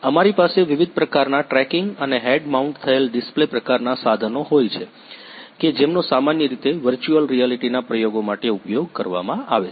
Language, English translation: Gujarati, Yes, sure so we are having different kinds of tracking and head mounted display kind of equipments which basically used for the virtual reality experiments